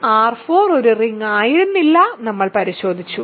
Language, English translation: Malayalam, R 4 was not a ring, we checked